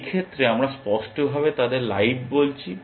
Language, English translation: Bengali, In this case we are explicitly calling them live